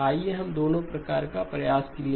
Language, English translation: Hindi, Let us try both